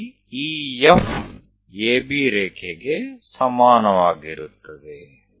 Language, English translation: Kannada, Where EF where EF is equal to AB line